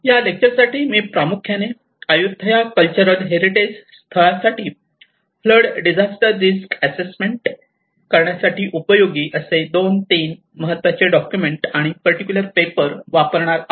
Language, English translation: Marathi, I am going to refer about mainly two to three important documents and this particular paper Which talks about the disaster aspect of it where the flood risk assessment in the areas of cultural heritage and how it has been applied in the Ayutthaya